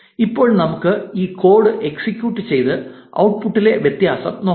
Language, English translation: Malayalam, Now, let us execute this code and now you see the difference in the output